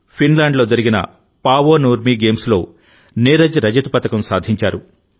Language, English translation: Telugu, Neeraj won the silver at Paavo Nurmi Games in Finland